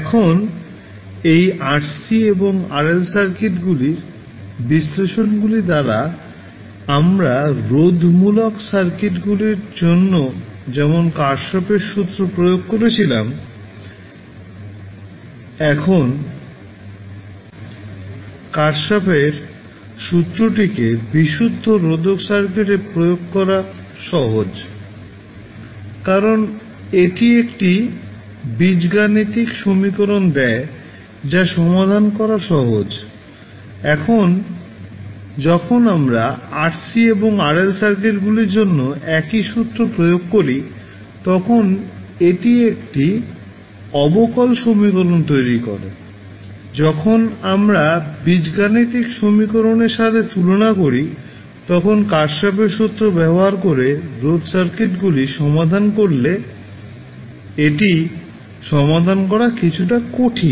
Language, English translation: Bengali, Now, the analysis of this RC and RL circuits, are is done by, applying the kirchhoffs law as we did for the resistive circuits, now applying kirchhoffs law to a purely resistive circuit is simple because it gives an algebraic equation which is easier to solve, now when we apply the same law for RC and RL circuits, it produces a differential equation, it would be little bit difficult to solve when compare with the algebraic equation which we get, when we solve the resistive circuits using kirchhoffs law